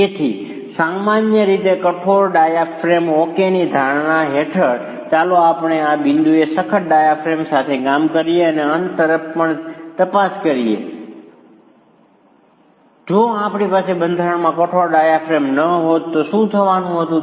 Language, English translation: Gujarati, So, typically under the assumption of a rigid diaphragm, okay, let us work with a rigid diaphragm at this point and also examine towards the end if we were not having a rigid diaphragm in the structure what were to happen in terms of distribution of the forces to the walls